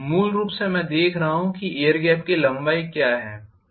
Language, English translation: Hindi, Basically I am looking at what is the length of the air gap